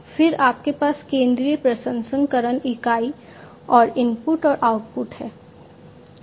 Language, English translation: Hindi, Then you have the central processing unit and the input and output